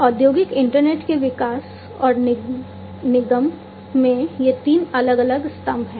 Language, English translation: Hindi, So, these are the three different pillars in the development and incorporation of industrial internet